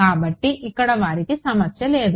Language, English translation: Telugu, So, here they seems to be no problem